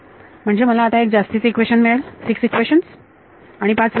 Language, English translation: Marathi, So, I will get one extra equation I will get six equation and five variable